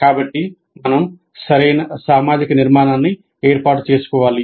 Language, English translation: Telugu, So we must establish proper social structure